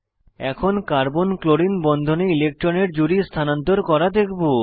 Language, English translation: Bengali, Next, I will show an electron pair shift in the Carbon Chlorine bond